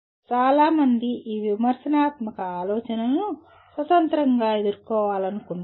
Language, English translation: Telugu, Many people want to deal with this critical thinking independently